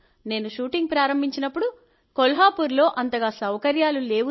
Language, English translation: Telugu, When I started shooting, there were not that many facilities available in Kolhapur